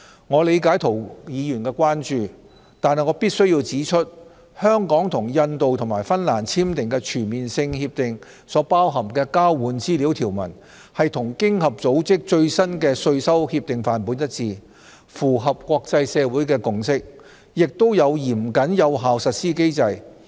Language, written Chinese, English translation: Cantonese, 我理解涂議員的關注，但我必須指出，香港與印度及芬蘭簽訂的全面性協定所包含的交換資料條文，與經合組織最新的稅收協定範本一致，符合國際社會的共識，也有嚴謹有效的實施機制。, While I understand Mr TOs concern I must point out that the provisions relating to exchange of information contained in the Comprehensive Agreements that Hong Kong signed with India and Finland are consistent with the latest OECD Model Tax Convention and in line with the consensus of the international community and a stringent and effective implementation mechanism has been put in place